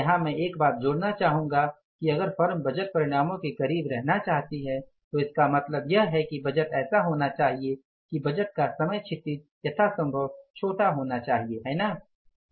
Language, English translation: Hindi, Here I would like to add one thing that if the firms wanted to be nearer to the budgeted results then it should be the budgeting should be like that the time horizon of the budgeting should be as short as possible